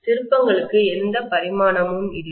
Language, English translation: Tamil, Turns do not have any dimension